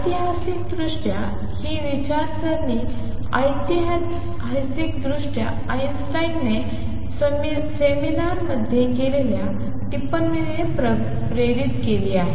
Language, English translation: Marathi, Historically is this thinking has been historically was inspired by remark by Einstein in seminar